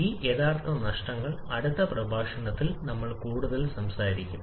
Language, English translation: Malayalam, These actual losses we shall be talking more in the next lecture